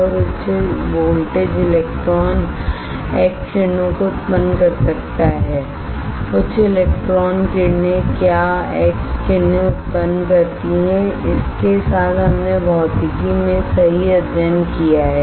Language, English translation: Hindi, and high voltage electron may generate x rays high electron beams generates what x rays with this we have studied in physics right